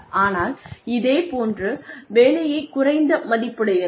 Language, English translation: Tamil, But, a similar job, that is of lesser value